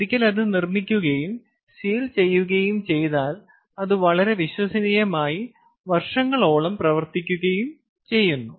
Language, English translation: Malayalam, once it is made and it is sealed, it ah, it performs, and it performs very, very reliably and goes on functioning for many, many years